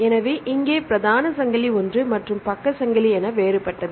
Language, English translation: Tamil, So, here the main chain is the same and side chain is different right